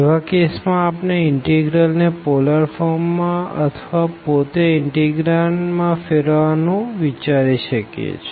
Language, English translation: Gujarati, In those cases, we can easily think of converting the integral to polar form or the integrand itself